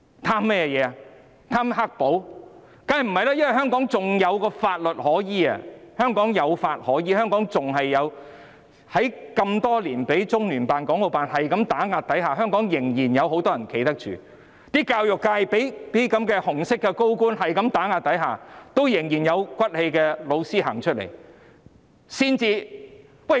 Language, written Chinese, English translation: Cantonese, 當然不是，因為香港仍有法律可依，即使被中聯辦、港澳辦打壓多年，香港仍然有很多人站得住，例如教育界一直被這些紅色高官打壓，但仍然有些有骨氣的教師走出來。, Certainly not it is because of the rule of law in Hong Kong . Even if having been suppressed by LOCPG and HKMAO for years many people in Hong Kong can still stand their ground . For example the education sector has long been suppressed by these red senior officials but some teachers who have moral integrity would still come forward